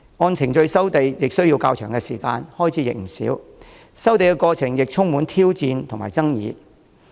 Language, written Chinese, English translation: Cantonese, 按程序收地需時較長，開支不少，收地過程亦充滿挑戰和爭議。, The resumption procedures are lengthy costly and the process is challenging and controversial